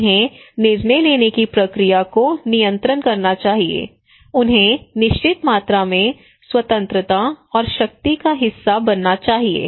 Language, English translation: Hindi, They should control the decision making process they should enjoy certain amount of freedom and power